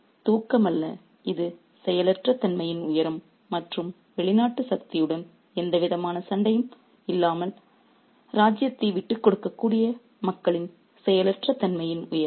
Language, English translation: Tamil, So, this is not sleep, this is being the height of passivity and the height of passivity and the part of the people who can give away the kingdom without any kind of fight to the foreign power